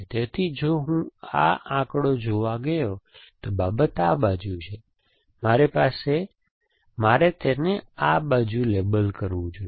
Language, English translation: Gujarati, So, if I went to look at this figure matter is this side, so I must label it this side and like this and so on